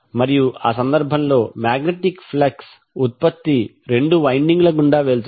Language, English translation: Telugu, And the magnetic flux in that case, generated will goes through the both of the windings